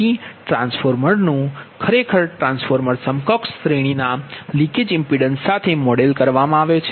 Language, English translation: Gujarati, so the transformer actually the transformer is modeled with equivalent series leakage impedance